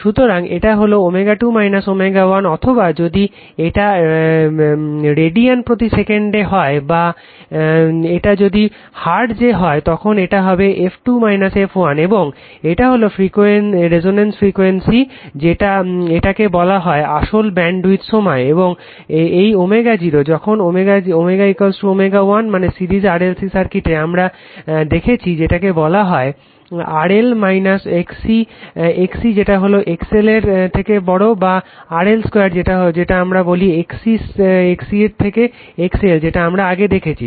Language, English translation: Bengali, So, that is your omega 2 minus omega 1 or if it is in radian per second or if it is hertz it will be f 2 minus f 1 right and this is your resonance frequency this is called actually bandwidth time and this omega, when it your omega is equal to omega 1 means for series RLc circuit we have seen right, that your what you call that your XL and XC xc is your what we call greater than XL or RL square your what we call XC than your XL that we have seen